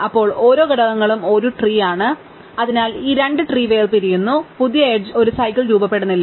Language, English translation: Malayalam, Then, inductively each component is a tree and therefore, these two trees are disjoint and therefore, the new edge does not form a cycle